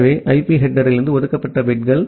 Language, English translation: Tamil, So, those reserved bits from the IP header